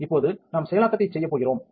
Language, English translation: Tamil, Now, we are going to do processing